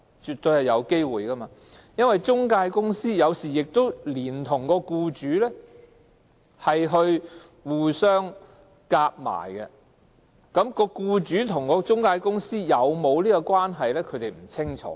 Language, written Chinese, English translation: Cantonese, 絕對有可能，因為中介公司有時跟僱主合謀，僱主和中介公司是否有關，外傭並不清楚。, There is a distinct possibility given that employment agencies sometimes collude with employers and foreign domestic helpers will not be able to tell whether the two are connected